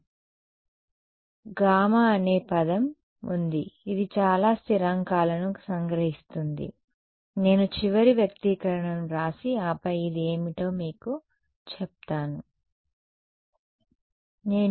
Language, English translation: Telugu, So, there is a term gamma comes which captures a lot of the constants I will just write down the final expression and then tell you what this is